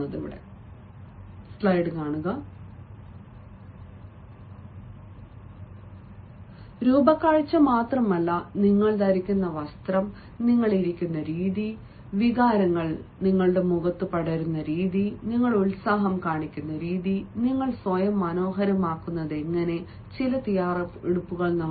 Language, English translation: Malayalam, no, it is not only the looks, rather the dress which you are wearing, the way you are sitting, the way emotions are spread on your face, the way you are showing the enthusiasm and the way you have made certain preparations in order to make yourself pleasant, in order to make yourself better composed